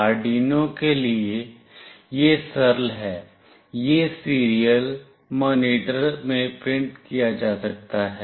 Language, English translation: Hindi, For Arduino, it is straightforward it can be printed in the serial monitor